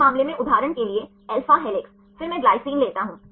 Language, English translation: Hindi, In this case for example, alpha helix then I take the glycine